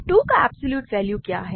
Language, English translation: Hindi, What is the absolute value of 2